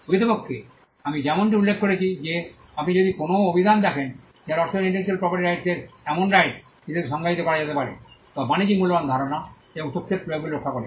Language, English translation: Bengali, In fact, as I mentioned if you look a dictionary meaning intellectual property rights can be defined as rights that protect applications of ideas and information that are of commercial value